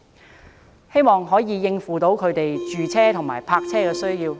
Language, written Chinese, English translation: Cantonese, 我希望這些措施能夠應付他們住屋和泊車的需要。, I hope that these measures will meet their housing and parking needs